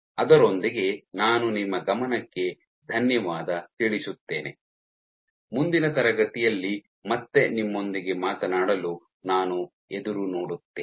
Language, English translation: Kannada, With that I thank you for your attention, I look forward to talking to you again in the next class